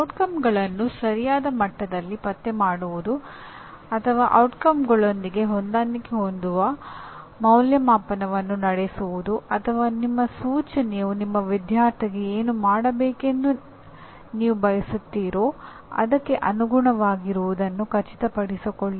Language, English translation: Kannada, Either locating the outcomes at the right level or making the assessment in alignment with outcomes or planning instruction making sure that your instruction is in line with what you wanted your student to be able to do